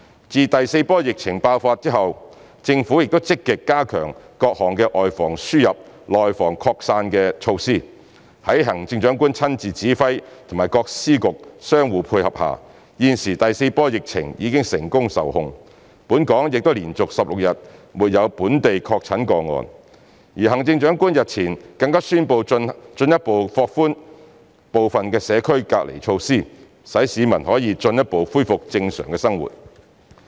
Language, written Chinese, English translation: Cantonese, 自第四波疫情爆發後，政府又積極加強各項外防輸入，內防擴散的措施，在行政長官親自指揮及各司局相互配合下，現時第四波疫情已成功受控，本港亦已連續16日沒有本地確診個案，而行政長官日前更宣布進一步放寬部分社交距離措施，使市民可以進一步恢復正常生活。, Since the outbreak of the fourth - wave epidemic the Government has actively strengthened the defence of the importation and internal spreading of the epidemic . Under the leadership of the Chief Executive and the cooperation of departments and bureaux the fourth wave of epidemic has been contained successfully . Since there has also been no report of confirmed case in Hong Kong for 16 consecutive days the Chief Executive has recently announced a further relaxation of certain social distance measures in order to enable the public to return to normal life